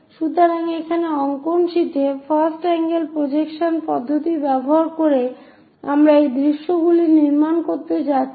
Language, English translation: Bengali, So, here on the drawing sheet, using first angle projection system we are going to construct this views